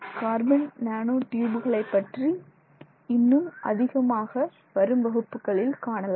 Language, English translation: Tamil, We will look a lot more at the carbon nanotube in our subsequent classes